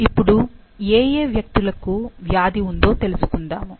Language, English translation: Telugu, Now, let's see which all individuals have the disease